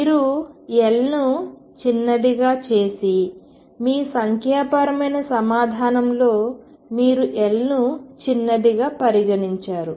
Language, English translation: Telugu, If you make L smaller and let us say in your numerical answer you made getting the numerical answer you have made L smaller